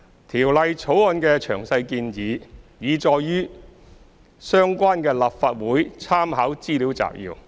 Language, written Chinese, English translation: Cantonese, 《條例草案》的詳細建議，已載述於相關的立法會參考資料摘要。, The detailed proposals of the Bill have been set out in the Legislative Council Brief concerned